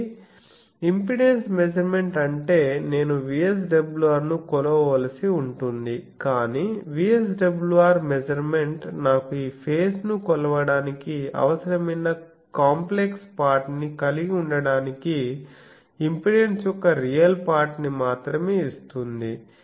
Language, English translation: Telugu, So, impedance measurement means I will have to I will have to measure VSWR, but VSWR measurement will give me only the real part of the impedance to have the complex part I also need to measure this phase